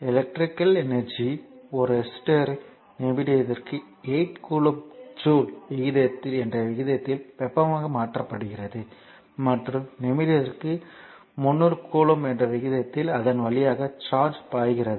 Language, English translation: Tamil, So, electrical energy is converted to heat at the rate of 8 kilo joule per minute in a resister and charge flowing through it at the rate of 300 coulomb per minute